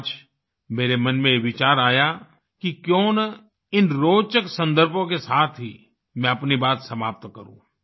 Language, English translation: Hindi, Today a thought came to my mind that why not end my talk with such interesting references